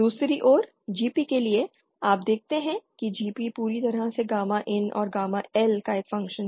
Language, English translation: Hindi, On the other hand the expression for GP, you see that GP is purely a function of gamma IN and gamma L